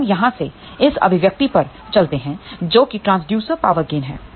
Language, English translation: Hindi, So, from here let us go to this expression here which is Transducer Power Gain